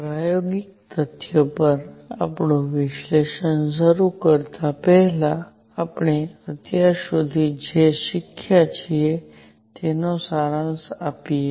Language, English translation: Gujarati, Before we start our analysis on experimental facts, let us just summarize what we have learnt so far